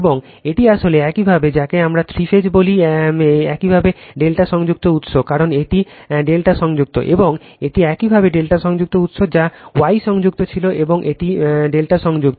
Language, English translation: Bengali, And this is actually your, what we call the three phase your delta connected source, because this is delta connected, and this is your delta connected source that was star connected and this is delta connected right